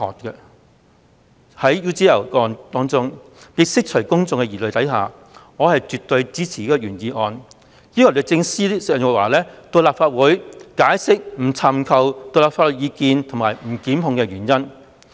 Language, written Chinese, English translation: Cantonese, 在 UGL 一案中，為釋除公眾疑慮，我絕對支持原議案要求律政司司長鄭若驊前來立法會席前解釋不尋求獨立法律意見及不作檢控的原因。, To allay public concern about the UGL case I definitely support the original motions request for summoning Secretary for Justice Teresa CHENG to the Legislative Council to explain the reasons why she refused to seek independent legal advice and proceed with prosecution